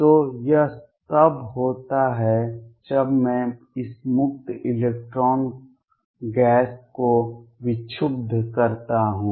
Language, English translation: Hindi, So, this is what happens when I disturb this free electron gas